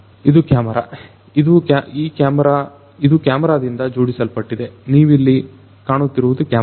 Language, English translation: Kannada, This is a camera this is fitted with a camera, you know over here as you can see this is a camera